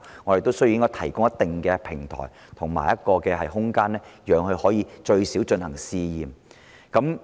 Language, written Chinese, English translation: Cantonese, 我們亦需要提供一定的平台和空間，讓業界最少可以進行試驗。, We also have to provide certain platforms and spaces to at least allow the trade to carry out trials